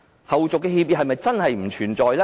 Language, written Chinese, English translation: Cantonese, 後續協議是否真的不存在？, Is it true that there are no subsequent agreements?